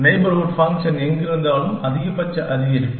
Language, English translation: Tamil, And wherever the heuristic function is getting, a maximum increase